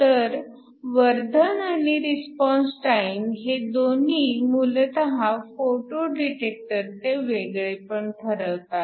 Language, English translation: Marathi, We have both a gain and a response time that basically characterizes your photo detector